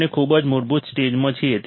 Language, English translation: Gujarati, We are at a very basic stage